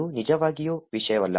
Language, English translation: Kannada, It does not really matter